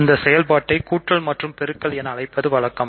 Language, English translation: Tamil, So, it is just convenient to call them addition and multiplication